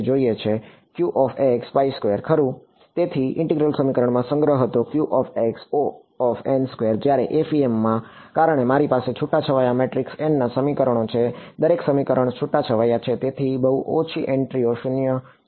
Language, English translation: Gujarati, So, storage in integral equations was order n squared whereas, in FEM because I have a sparse matrix n equations each equation is sparse means very few entries are non zero